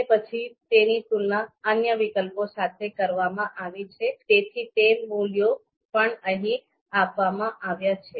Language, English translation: Gujarati, And then it has been compared with you know other you know alternatives as well, so those values are given here